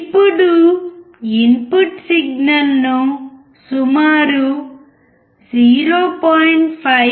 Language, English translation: Telugu, Let us now decrease the input signal to about 0